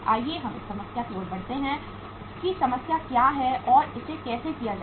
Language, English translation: Hindi, Let us move to the problem that uh what is the problem and how to do it